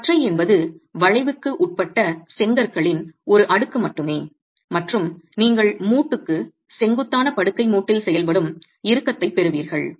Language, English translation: Tamil, A beam is just a stack of bricks subjected to bending and you get tension acting on the bed joint normal to the joint itself